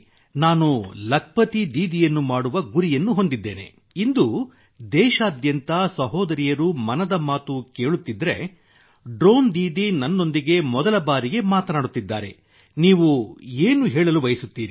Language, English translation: Kannada, Because I have a mission to make Lakhpati Didi… if sisters across the country are listening today, a Drone Didi is talking to me for the first time